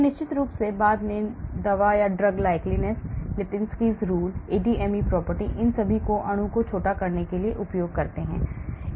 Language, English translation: Hindi, And then of course later on, I use drug likeness property, Lipinski’s rule, ADME property, all these to shortlist molecule